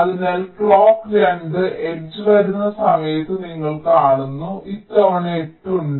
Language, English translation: Malayalam, so you see, by the time the clock two h comes, this time eight is there